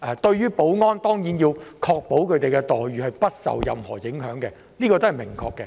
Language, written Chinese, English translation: Cantonese, 當然，我們要確保保安員的待遇不受任何影響，這一點十分明確。, Of course we must ensure that the remuneration of the security guards should not be affected in any way . This point is very clear